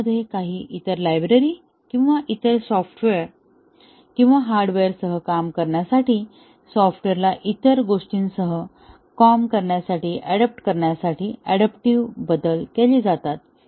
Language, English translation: Marathi, Adaptive changes are made to the code to make it to work with some other libraries or some other software or hardware, to adapt the software to work with something else